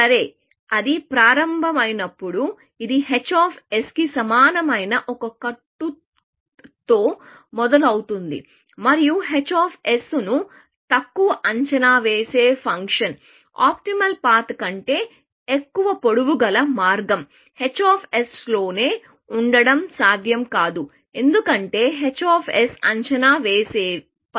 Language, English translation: Telugu, Well, when it starts, it starts with a bound which is equal to h of s, and given that h of s is an underestimating function; it is not possible that a path of length greater than optimal path, will exist within h of s, because h of s is an under estimative function